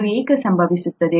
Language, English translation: Kannada, Why does that happen